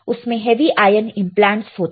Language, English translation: Hindi, It has heavy ion implants right